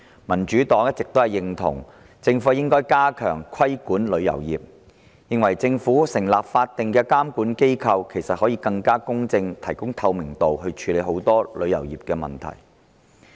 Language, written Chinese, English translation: Cantonese, 民主黨一直認同政府應加強規管旅遊業，並認為政府成立法定監管機構，以便以更公正及更具透明度的手法，處理旅遊業的很多問題。, The Democratic Party always agrees that the Government should enhance its regulation of the travel industry and considers that the Government should establish a statutory regulatory body to deal with the many problems of the travel industry in a more impartial and transparent way